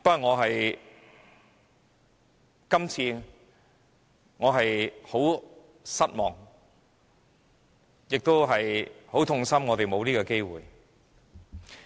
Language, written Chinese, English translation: Cantonese, 我感到非常失望，也很痛心我們沒有這個機會。, I am very disappointed and my heart aches over the lack of such an opportunity